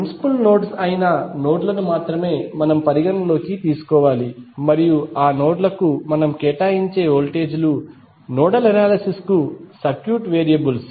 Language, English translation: Telugu, We have to only take those nodes which are principal nodes into consideration and the voltages which we assign to those nodes would be the circuit variables for nodal analysis